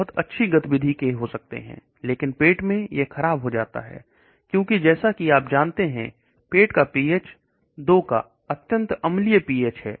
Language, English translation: Hindi, Many leads may have very good activity but in the stomach it gets degraded, because as you know the stomach pH is extremely acidic pH of 2